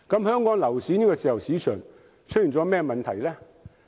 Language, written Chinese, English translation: Cantonese, 香港樓市的自由市場出現了甚麼問題？, What are the problems with our property market being a free market?